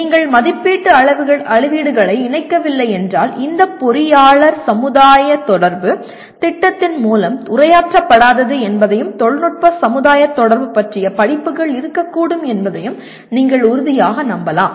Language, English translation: Tamil, If you do not incorporate evaluation rubrics you can be sure that this engineer society interaction would not be addressed through the project and there can be courses on technology society interaction